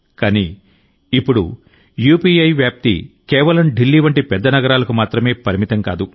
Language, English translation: Telugu, But now it is not the case that this spread of UPI is limited only to big cities like Delhi